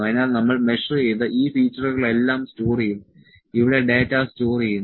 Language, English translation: Malayalam, So, all this features that we measured are also stored here the data is stored